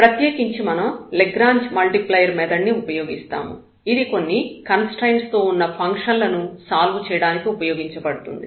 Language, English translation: Telugu, So, in particular we will be talking about the method of a Lagrange’s multiplier which is used to solve such problems, where we have along with the function some constraints